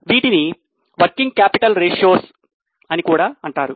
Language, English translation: Telugu, These are also known as working capital ratios